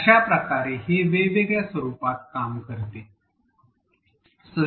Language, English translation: Marathi, So, this works in a variety of different formats